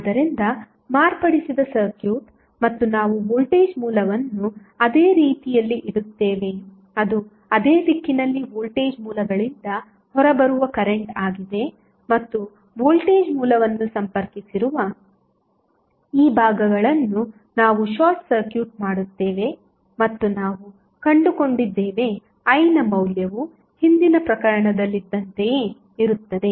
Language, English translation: Kannada, So, the circuit which is modified and we place the voltage source in such a way that it is the current coming out of the voltage sources in the same direction and we short circuit the current I these segment where the voltage source was connected and we found that the value of I is same as it was there in the previous case